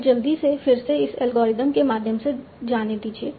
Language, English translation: Hindi, So, okay, so let me just quickly go through this algorithm again